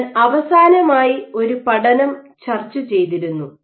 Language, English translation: Malayalam, So, I just discussed one last study